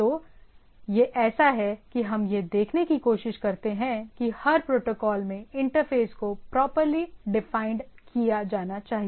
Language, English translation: Hindi, So, this is so what we try to see that every protocol this interfaces should be properly defined, that how need to talk to this interfaces